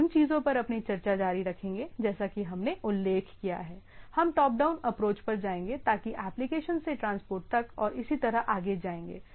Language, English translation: Hindi, We will continue our discussion on the things as we mentioned that will go on a top down approach so will go from application to transport and so and so forth okay